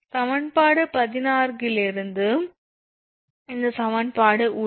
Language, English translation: Tamil, So, from equation 16 right from this equation only right